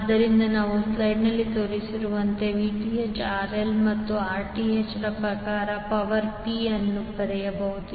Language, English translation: Kannada, So we can write power P in terms of Vth, RL and Rth like shown in the slide